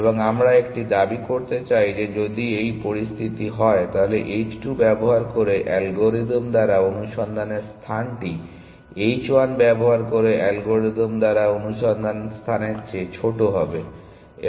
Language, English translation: Bengali, And we want to make a claim that if this is the situation, then the search space explore by the algorithm using h 2 will be smaller than the search space by algorithm using h 1